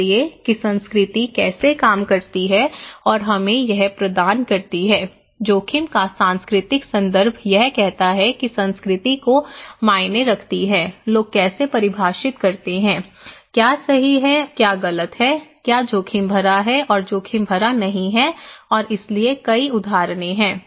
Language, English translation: Hindi, So thatís how culture works and gives us so, cultural context of risk is saying that culture matters, how people define, what is right or wrong, what is risky or not risky and in so, there are many examples